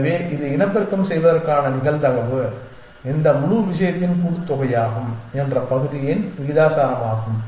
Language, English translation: Tamil, So, the probability of it reproducing is proportional to the fraction that this is of the sum of this whole thing